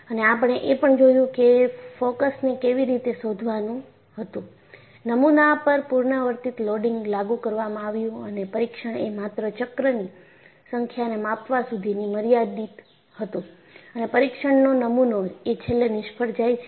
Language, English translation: Gujarati, And we had also looked at, the focus was to find out, apply a repeated loading on the specimen and the test was confined to measuring only the number of cycles, when the test specimen fails eventually